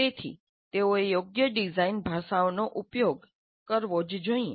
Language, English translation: Gujarati, So they must use appropriate design languages